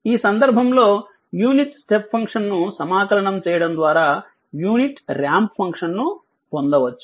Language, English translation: Telugu, So, unit ramp function, in this case unit ramp function r t can be obtained by integrating the unit step function u t